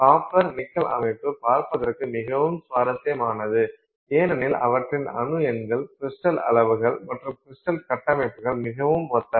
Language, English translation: Tamil, The copper nickel system is fairly interesting to look at because the their atomic numbers and crystal sizes, crystal structures are very similar